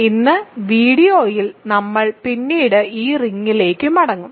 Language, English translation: Malayalam, We will come back to this ring later in the video today